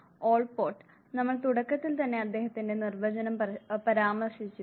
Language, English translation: Malayalam, Allport once again we referred, to his definition right in the beginning